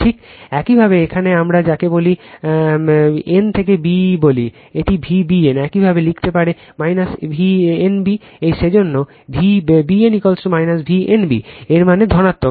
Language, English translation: Bengali, Just you obtain the here what we call that what we call n to b right, it is V b n you can write minus V n b that is why, this is V b n is equal to minus V n b that means, positive right